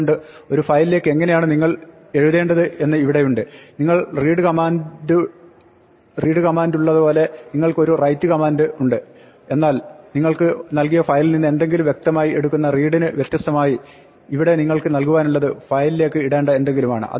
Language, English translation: Malayalam, So, here is how you write to a file just like you have read a command you have a write command, but now unlike read which implicitly takes something from the file and gives to you, here you have to provide it something to put in the file